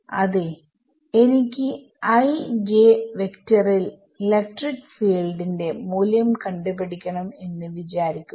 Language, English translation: Malayalam, So, good question I want to find out what is the value of the electric field at i comma j vector now what will you do